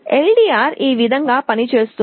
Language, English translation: Telugu, This is how LDR works